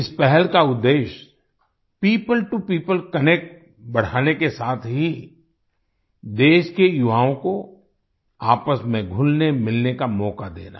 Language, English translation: Hindi, The objective of this initiative is to increase People to People Connect as well as to give an opportunity to the youth of the country to mingle with each other